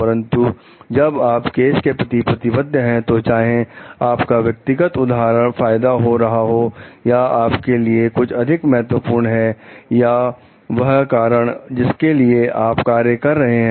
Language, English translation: Hindi, But, again when you are committed to a cause, so whether it is your personal gain or which is more important to you or the cause that you serve